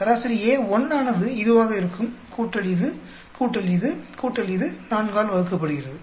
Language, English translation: Tamil, Average A1 will be this, plus this, plus this, plus this divided by 4